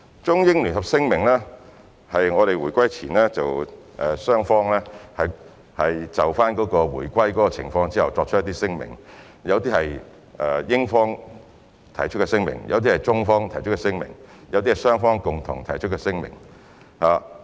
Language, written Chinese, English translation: Cantonese, 《中英聯合聲明》是在香港回歸前，中英雙方就回歸的情況作出的聲明，當中有些是英方提出，有些是中方提出，有些是雙方共同提出。, The Joint Declaration is a declaration made by China and the United Kingdom before the reunification . Some of its provisions were proposed by the United Kingdom some by China and some by both parties